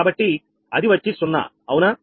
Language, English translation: Telugu, so it will be zero, right